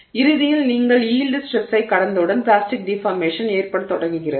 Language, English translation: Tamil, So, eventually once you cross the yield stress plastic deformation begins to occur